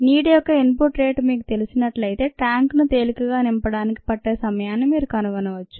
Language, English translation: Telugu, if you know the input rate of water, then you can figure out the time taken to fill the tank quite easily